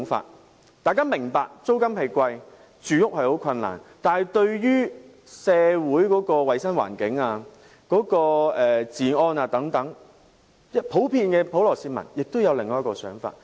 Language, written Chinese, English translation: Cantonese, 即使大家明白租金高昂，市民有住屋困難，但對於社會的衞生環境、治安等問題，普羅市民亦會有另一種想法。, Even though the public understand that rent is high and housing problems do exist this situation which has created health and security issues to society has given the public some other thoughts